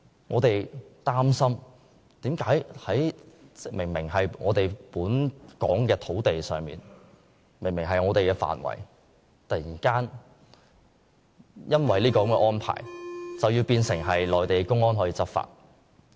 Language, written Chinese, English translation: Cantonese, 我們擔心的是為何明明在香港土地上，明明是香港的範圍，卻突然因這個安排而變成內地公安可在此執法。, The Mainland Port Area is plainly inside the territory and boundary of Hong Kong but all of a sudden because of the co - location arrangement Mainland public security personnel can exercise jurisdiction over there . This is instead our concern